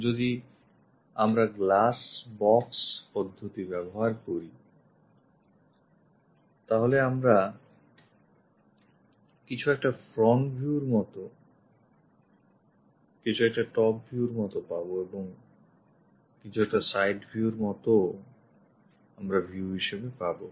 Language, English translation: Bengali, If we are using glass box method, then the view will be something like front view and something like the top view and there will be something like a side view also we will get